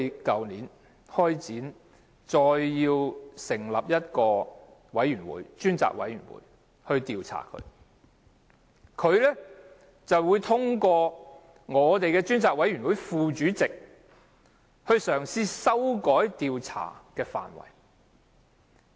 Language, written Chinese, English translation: Cantonese, 去年，我們要求成立專責委員會就 UGL 事件進行調查，但梁振英通過專責委員會副主席嘗試修改調查範圍。, We can do nothing about him . Last year we demanded to establish a Select Committee to inquire into the matters of UGL but LEUNG Chun - ying tried to amend the scope of inquiry through the Deputy Chairman of the Select Committee